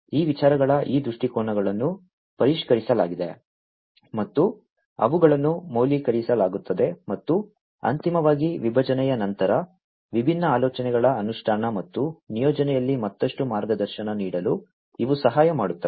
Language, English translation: Kannada, These viewpoints of these ideas are revised and they are validated and finally, after division, these will be helping to guide further guide in the implementation and deployment of the different ideas